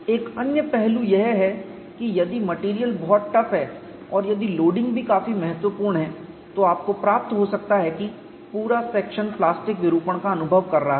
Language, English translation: Hindi, Another aspect is, if the material is very tough and also if a loading is quite significant, you may find the net section is experiencing plastic deformation